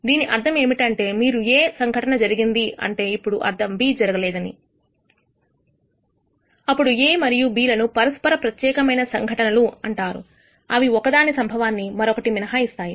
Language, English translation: Telugu, Which means, if you say that event A has occurred then it implies B has not occurred, then A and B are called mutually exclusive events one excludes the other occurrence of one excludes the other